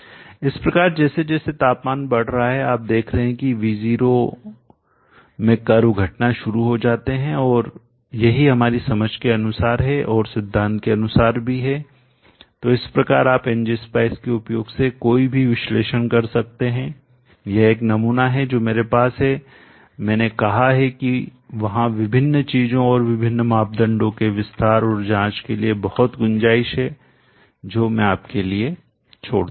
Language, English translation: Hindi, So as the temperature is increasing you see that the curves start going with in V0 starts decreasing and that is as per our understanding 2 as per the theory also, so like that you can make any analysis using ng spice this is a sample that I have said there is lot of scope for expanding and checking out various things and various parameters I will leave all that to you